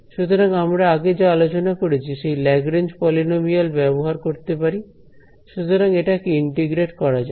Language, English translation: Bengali, So, I can use what we have discussed earlier the Lagrange polynomials so integrate this guy out right